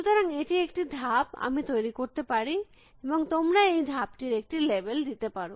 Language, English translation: Bengali, So, this could be a move that I could make and you can give a label to this move